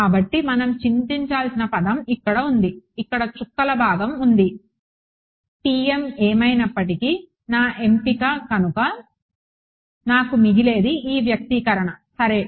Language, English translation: Telugu, So, the kind of term we have to worry about is here is dotted part over here TM is anyway going to be my choice what am I left with is this expression right